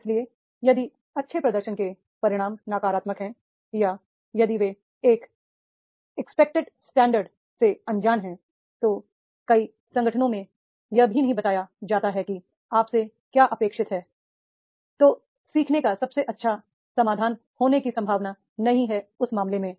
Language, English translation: Hindi, So, therefore, if the consequences of the good performance are negative or if they are unaware of an expected standard in many organizations it is not been even told, that is what is expected from you, then training is not likely to be the best solution in that case